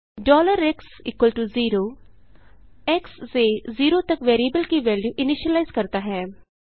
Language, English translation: Hindi, $x=0 initializes the value of variable x to zero